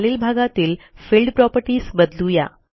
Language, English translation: Marathi, Change the Field Properties in the bottom section